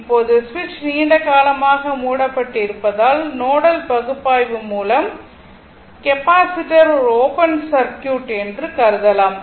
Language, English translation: Tamil, Now, as the switch remains closed for long time, capacitor can be considered to be an open circuit by nodal analysis